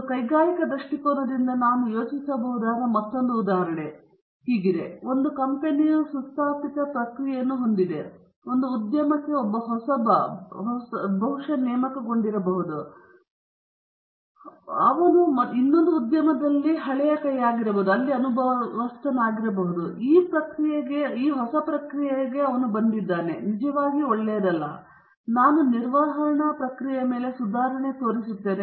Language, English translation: Kannada, Another example which I can think of, from an industrial point of view, is a company is having a well established process, and a newcomer to the an industry, perhaps a new recruit or an old hand from another industry, comes and says this process is not really that good, I can improve upon the process